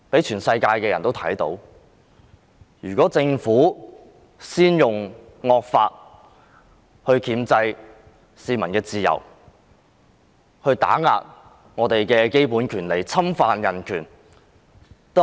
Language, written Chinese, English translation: Cantonese, 全世界的人都看到政府先用惡法箝制市民的自由，打壓我們的基本權利，侵犯人權。, People around the world have seen how the Government used the evil law to restrain peoples freedom suppress our basic rights and infringe human rights